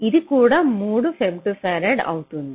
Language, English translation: Telugu, so this will also be three femto farad